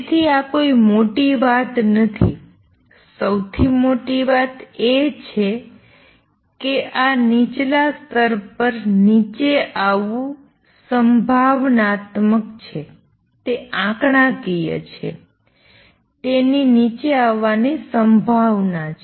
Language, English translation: Gujarati, So, that is not a big thing, what is big is that this coming down to lower level is probabilistic it is statistical, it has a probability of coming down